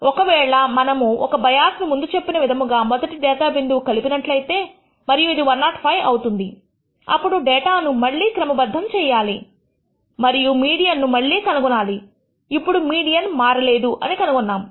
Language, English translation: Telugu, Suppose we add a bias in the first data point as before and make this 105 and then reorder the data and find out the again the median; we find that the median has not changed